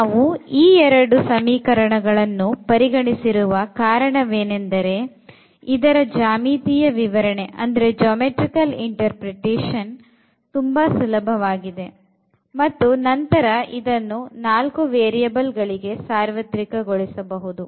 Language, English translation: Kannada, So, considering this these two equations because, the geometrical interpretation will be very easy and then we can generalize the concept for 4 more variables